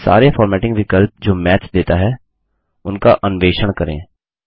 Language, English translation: Hindi, Feel free to explore all the formatting options which Math provides